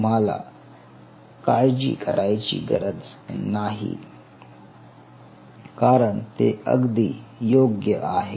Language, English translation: Marathi, do not worry about it, its perfectly fine